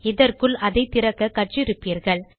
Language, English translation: Tamil, You probably know how to open this by now